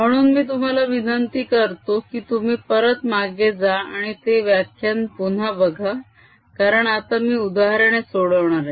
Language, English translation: Marathi, so i would request you to go and look at that lecture again, because now i am going to solve examples